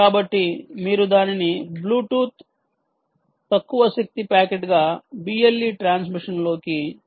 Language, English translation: Telugu, right, so you have to send it out as a bluetooth low energy packet into the into the b l e transmission